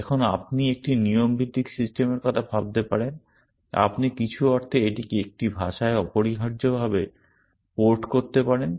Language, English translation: Bengali, Now, you can think of a rule based system, you can in some sense port it to an imperative language and you can